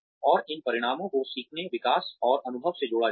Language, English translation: Hindi, And, these outcomes are linked with learning, development, and experience